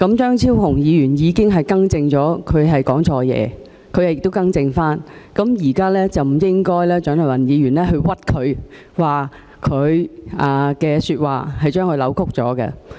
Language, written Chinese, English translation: Cantonese, 張超雄議員已經表示他說錯話，亦已經更正，現在蔣麗芸議員不應該冤枉他，並把他的說話扭曲。, Dr Fernando CHEUNG already said that he had made a mistake in his speech and had rectified his mistake . Dr CHIANG Lai - wan should not wrong him and distort his remarks